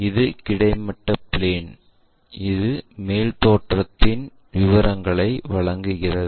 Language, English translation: Tamil, This is horizontal plane, and this gives us top view information